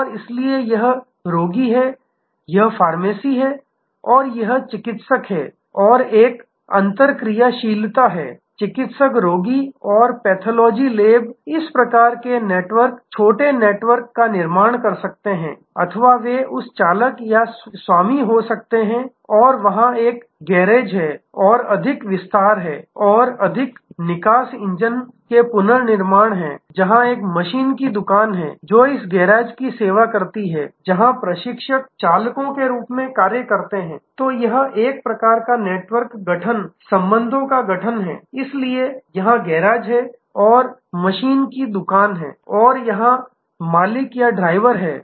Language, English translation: Hindi, And, so this is the patient this is the pharmacy and this is the therapist and that there is an interactivity, there could be like a physician patient and pathology lab similar type of network small network formation or there can be a driver or an owner and there is a garage and there is a more detail are more exhaustive engine rebuilding, where there is a machine shop, which serves this garage, which interns serves as drivers